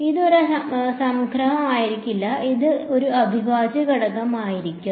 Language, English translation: Malayalam, It will not be a summation it will be a integral right